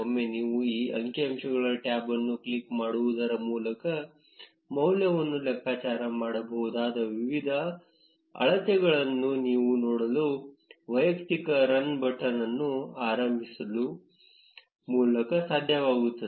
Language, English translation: Kannada, Once you click on this statistics tab, you will be able to see the different measures whose value can be calculated by clicking on the individual run button